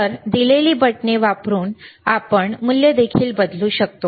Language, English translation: Marathi, So, we can also change the value using the buttons given